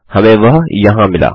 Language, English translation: Hindi, We got it here